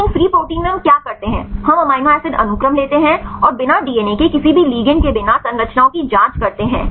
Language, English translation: Hindi, But in the free protein what we do is we take the amino acid sequence and check for the structures without any ligands without any DNA